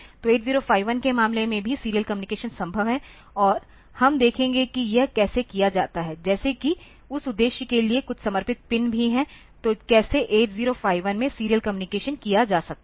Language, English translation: Hindi, So, in case of 8051 also serial communication is possible and we will see that how this is done like there is a there are some dedicated pins for that purpose as well; so, how to do the serial communication in 8051